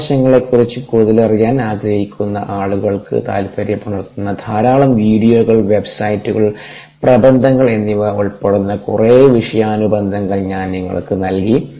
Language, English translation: Malayalam, i have given you a lot of references, which include videos, websites and papers, to provide a lot of background which would be interesting to people who want to know more about those aspects